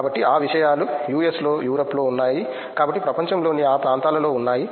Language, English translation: Telugu, So, those things are there in US, in Europe, so those parts of the world